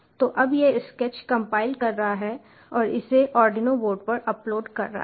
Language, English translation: Hindi, so it is now compiling the sketch and it is uploading at to the arduino board